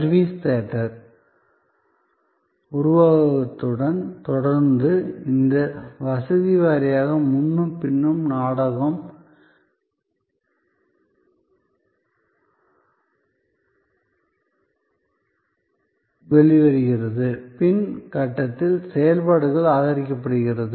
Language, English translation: Tamil, Continuing with the service theater metaphor, that there are these facility wise front and back, where the drama unfolds, supported by activities at the back stage